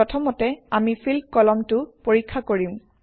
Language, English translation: Assamese, First, we will check the Field column